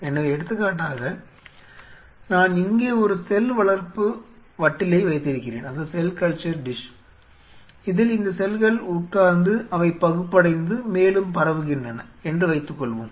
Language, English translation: Tamil, So, say for example, I have a cultured dish here where I have these cells which are sitting and suppose they are dividing and spreading further